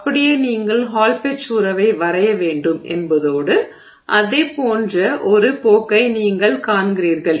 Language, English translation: Tamil, So, it means that you draw the hall patch relationship and you see a trend that looks like that